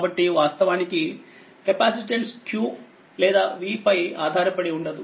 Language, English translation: Telugu, So, in fact capacitance it does not depend on q or v right